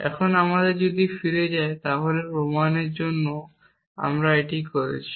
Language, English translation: Bengali, Now, if you if you go back over the proof we did for this and this was to be shown